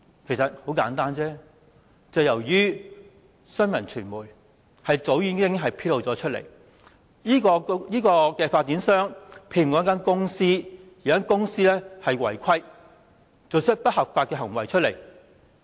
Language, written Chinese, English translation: Cantonese, 原因很簡單，便是因為新聞傳媒早已經把事件披露出來，指出發展商聘用了一間顧問公司，而這間顧問公司卻違規做出不合法的行為。, It is simply because the incident was disclosed by the news media a long time ago pointing out that the developer had commissioned a consultancy which had flouted the rules by committing unlawful acts